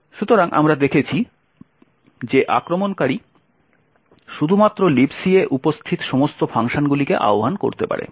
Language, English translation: Bengali, So, we had seen that the attacker could only invoke all the functions that are present in libc